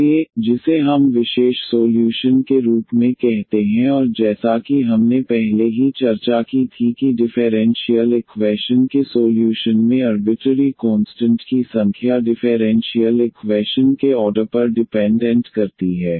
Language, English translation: Hindi, So, which call which we call as the particular solution and as we discussed already that the number of arbitrary constants in a solution of a differential equation depends on the order of the differential equation